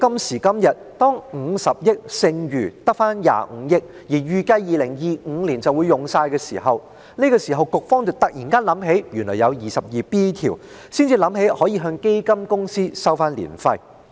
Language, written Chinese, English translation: Cantonese, 時至今日，當50億元只剩25億元時，並且預計2025年便會花光，積金局突然想起第 22B 條，可以引用來向基金公司收取註冊年費。, Today when the 5 billion Capital Grant only has a balance of 2.5 billion and is projected to be fully depleted by 2025 MPFA suddenly recalls that it can invoke section 22B to charge ARF from fund companies